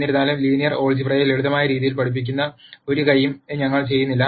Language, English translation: Malayalam, However, we do not do any hand waving we teach linear algebra in a simple fashion